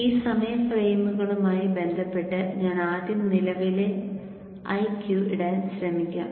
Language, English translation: Malayalam, So with respect to these time frames let me now first try to put the current IQ